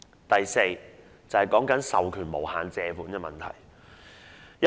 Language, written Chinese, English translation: Cantonese, 第四點關乎授權無限借款的問題。, The fourth point concerns the authorization for borrowings of an indefinite amount